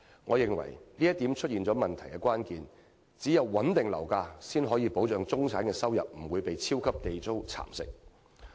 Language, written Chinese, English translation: Cantonese, 我認為這話點出了問題的關鍵：唯有穩定樓價，才可保障中產的收入不會被"超級地租"蠶食。, I think his view has epitomized the problem stabilizing property prices is the only way to ensure that the income of the middle class will no longer be eroded by the super Government rent